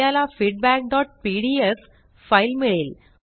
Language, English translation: Marathi, We get the file feedback.pdf